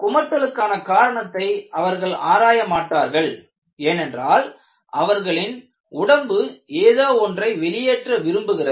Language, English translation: Tamil, They do not look at what causes vomiting, because the body wants to throw certain stuff from your system